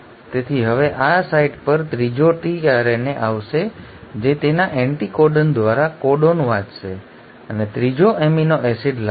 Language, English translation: Gujarati, So now at this site the third tRNA will come which will read the codon through its anticodon and will bring the third amino acid